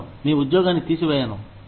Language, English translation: Telugu, I will not take your job away